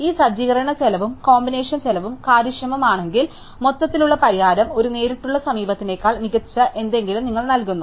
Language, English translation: Malayalam, And if this set up cost and combination cost is efficient, then the overall solution gives you something much better than a direct approach could